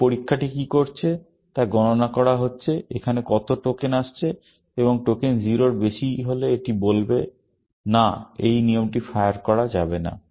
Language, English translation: Bengali, What this test is doing is counting, how many tokens are coming here, and if the tokens is greater than 0, then it will say, no, this rule cannot fire